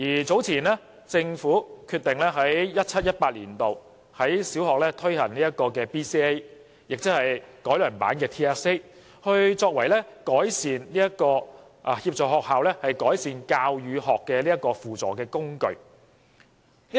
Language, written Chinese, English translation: Cantonese, 早前政府決定在 2017-2018 年度，在小學推行 BCA， 亦即改良版的 TSA， 作為協助學校改善教與學的輔助工具。, Earlier the Government decided to introduce the Basic Competency Assessment BCA or the improved version of TSA in primary schools from 2017 - 2018 school year as a tool to help schools improve learning and teaching